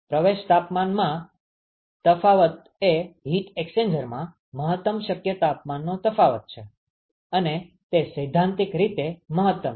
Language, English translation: Gujarati, The difference in the inlet temperatures is the maximum possible temperature difference in the heat exchanger, that is the theoretical maximum ok